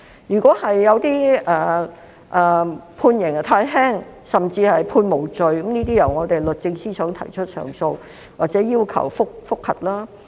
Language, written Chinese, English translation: Cantonese, 如果有一些案件判刑太輕，甚至獲判無罪，可交由我們律政司司長提出上訴或要求覆核。, If the sentences of some cases were too lenient or if some defendants were acquitted the Secretary of Justice may lodge an appeal or a judicial review